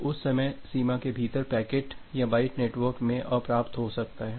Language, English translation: Hindi, So, within that life time the packet or the byte can be outstanding in the network